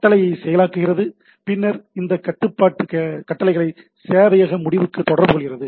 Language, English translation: Tamil, So processes command and then communicates these control commands to the server end